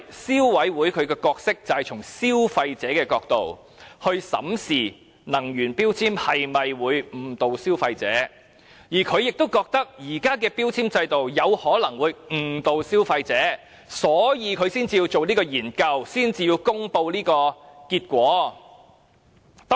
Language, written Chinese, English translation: Cantonese, 消委會的角色只是從消費者的角度，審視能源標籤會否誤導消費者，由於它也覺得現時的標籤計劃有可能誤導消費者，所以便會進行研究並公布結果。, The role of CC is to examine whether energy labels are misleading from the perspective of consumers . Since CC also opined that the current labelling scheme might be misleading to consumers it conducted a study and published the results